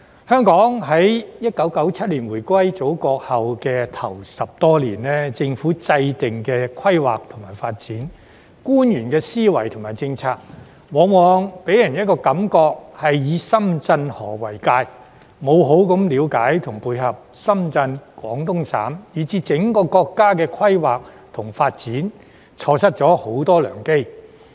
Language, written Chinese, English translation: Cantonese, 香港1997年回歸祖國後首10多年，政府制訂的規劃及發展，官員的思維及政策，往往予人的感覺是以深圳河為界，沒有好好了解和配合深圳、廣東省以至整個國家規劃及發展，錯失了很多良機。, In the first decade or so following the return of Hong Kongs sovereignty to the Motherland in 1997 the Governments planning and development as well as the mindset and policies of officials often gave people the impression that they had taken the Shenzhen River as the border without properly understanding and complementing the planning and development of Shenzhen the Guangdong Province and even the whole country . Therefore a lot of golden opportunities were lost